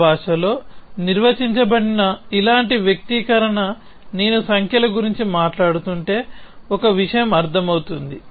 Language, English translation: Telugu, So, a same expression like this which is defined in my language would mean one thing if I am talking about numbers